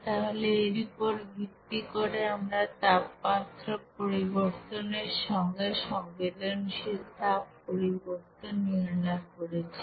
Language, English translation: Bengali, So based on which we have calculated also, because of that sensible heat change by you know temperature change